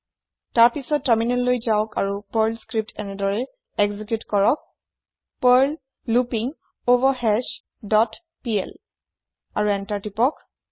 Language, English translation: Assamese, Then, switch to terminal and execute the Perl script as perl loopingOverHash dot pl and press Enter